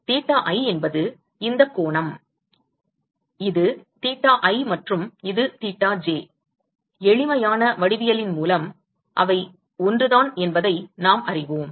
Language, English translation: Tamil, Theta i is this angle, this is theta i and this is theta j, by simple geometry we know that they are one and same